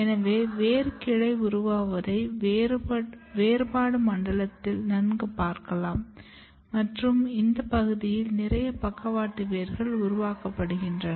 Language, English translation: Tamil, So, the process of root branching is visually initiated in the differentiation zone and a lot of lateral roots are developed in this region